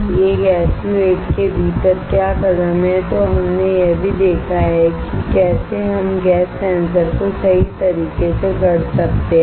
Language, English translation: Hindi, Within an s u 8 what are the steps then we have also seen how we can fabricate a gas sensor right